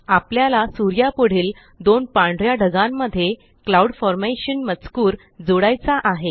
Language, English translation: Marathi, We shall add the text Cloud Formation to the two white clouds next to the sun